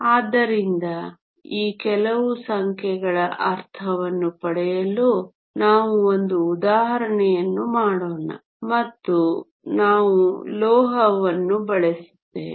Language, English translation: Kannada, So, let us do an example to get a sense of some of these numbers and we will make use of a metal